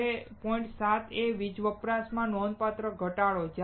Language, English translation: Gujarati, Now, the point 7 is the significant reduction in the power consumption